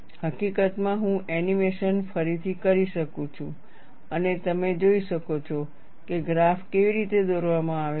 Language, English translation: Gujarati, In fact, I could redo the animation and you could see how the graph is drawn